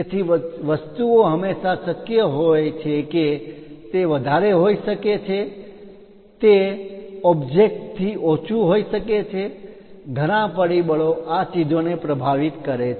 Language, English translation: Gujarati, So, things there is always chance that it might be excess it might be low of that object, many factors influence these things